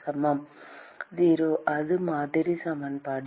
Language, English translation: Tamil, equal to 0, that is the model equation